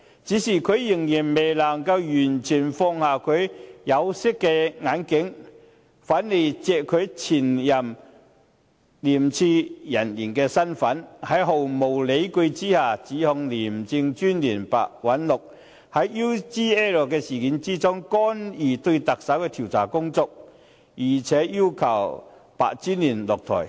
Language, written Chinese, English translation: Cantonese, 可是，他未能完全脫下他的有色眼鏡，仍然利用他身為前廉政公署人員的身份，在毫無理據的情況下，指控廉政專員白韞六在 UGL 事件中，干預對特首進行的調查工作，並且要求白專員下台。, Nevertheless he has failed to take off his tinted glasses entirely . Taking advantage of his identity as a former Independent Commission Against Corruption ICAC officer he has continued to make unsubstantiated accusations of the Commissioner of ICAC Simon PEH saying that in the UGL incident he intervened in the investigation into the Chief Executive and demanding him to step down